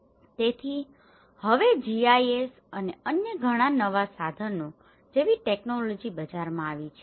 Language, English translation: Gujarati, So here, now the technologies like GIS and many other new tools have come in the market